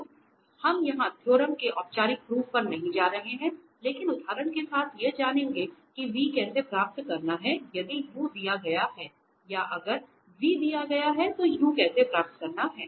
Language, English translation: Hindi, So, here this we will not go for the formal proof of this theorem, but with the help of examples we will learn that how to find v if u is given or if v is given then how to find u